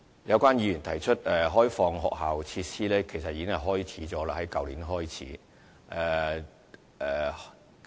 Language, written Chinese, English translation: Cantonese, 有關議員提出開放學校設施，其實這已於去年開始實行。, Some Members have suggested that school facilities be opened up for use by the public . Actually this has already be in practice since last year